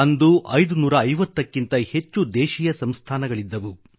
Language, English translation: Kannada, There existed over 550 princely states